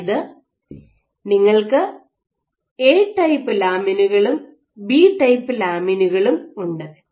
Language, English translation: Malayalam, So, you have a type lamins and b type lamins